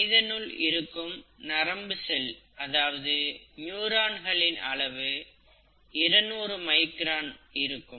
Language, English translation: Tamil, If you talk of a neuron, which is a neural cell in humans, that could be two hundred microns, right